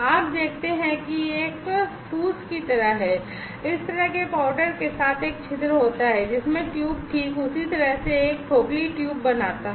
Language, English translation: Hindi, You see that this is just like a pallet this kind of powder with having a porosity the tube exactly it forms a hollow tube